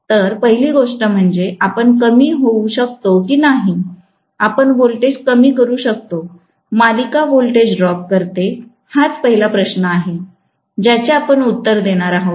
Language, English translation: Marathi, So, first thing is whether we can decrease, can we reduce the voltage, the series voltage drops, that is the first question that we are going to answer